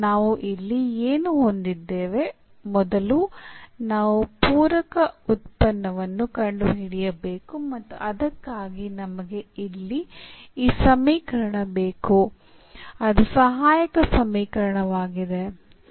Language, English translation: Kannada, So, what do we have here, first we need to find the complementary function and for that we need this equation here the auxiliary equation